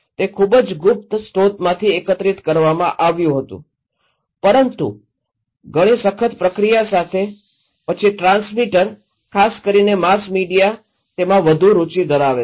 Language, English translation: Gujarati, Like, it was collected from very secret sources but with a lot of rigorous process then the transmitter particularly the mass media they are interested